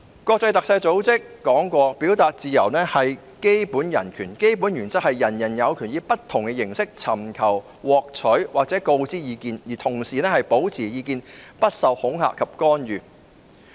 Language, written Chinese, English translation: Cantonese, 國際特赦組織表示，表達自由是基本人權，基本原則是人人有權以不同形式尋求、獲取或告知意見，而同時保持意見不受恐嚇及干預。, AI states that freedom of expression is fundamental human rights and the primary principle is that every one has the right to seek receive and impart information and ideas in any form without fear or interference